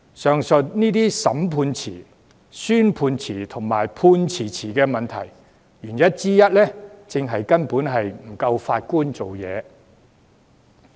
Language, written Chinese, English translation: Cantonese, 上述這些審訊遲、宣判遲和判詞遲的問題，原因之一正是法官人手不足。, One of the reasons for the delayed trials delayed sentencing and delayed judgments is the shortage of Judges